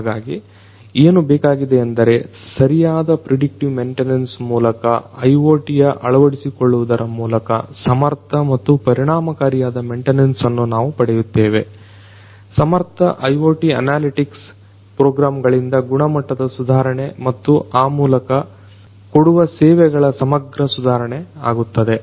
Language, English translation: Kannada, So, what is required is through appropriate predictive maintenance through IoT integration, we are going to have efficient and effective maintenance and improvement of quality by efficient IoT analytics programs and in turn improving the overall services that are delivered